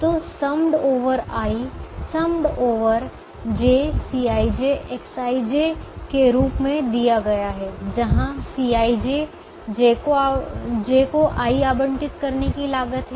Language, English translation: Hindi, so that is given by summed over i summed over j, c i j, x i j, where c i j is the cost of allocating i to z